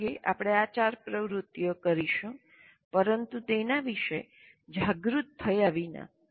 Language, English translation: Gujarati, All these four activities, most of the times we will be doing that but without being fully aware of it